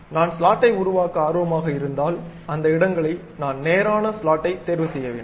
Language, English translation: Tamil, And those slots if I am interested to construct it, what I have to do pick straight slot